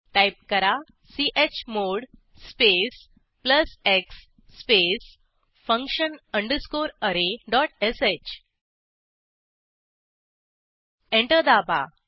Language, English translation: Marathi, Type chmod space plus x space function underscore array dot sh Press Enter